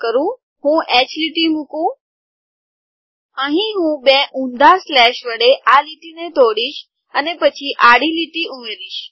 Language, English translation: Gujarati, Here I have to put a break line with two reverse slashes and then h line